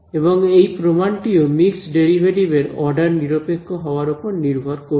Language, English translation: Bengali, Again this proof depends on the mixed derivatives being independent of the order in which they are applied ok